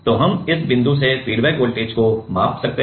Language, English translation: Hindi, So, we can measure the feedback voltage from this point